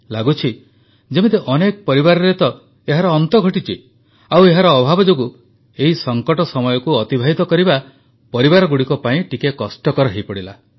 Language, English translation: Odia, ' It seems, there are many families where all this has been lost…and that is why amid the dearth, it became a little difficult for families to spend time in this period of crisis